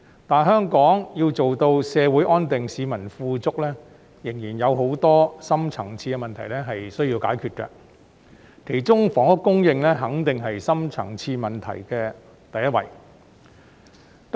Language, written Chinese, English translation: Cantonese, 但香港要做到社會安定、市民富足，仍有很多深層次的問題需要解決，其中房屋供應肯定是深層次問題的第一位。, But for Hong Kong to achieve social stability and prosperity for its people many deep - rooted problems remain to be solved and among them housing supply definitely topped the list of such deep - rooted problems